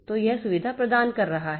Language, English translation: Hindi, So, this is providing the facility